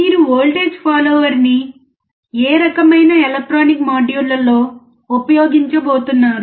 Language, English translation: Telugu, In which kind of electronic modules are you going to use voltage follower